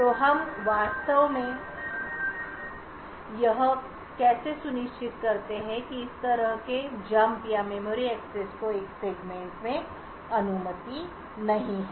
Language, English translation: Hindi, So how do we actually ensure that such jumps or memory accesses are not permitted within a segment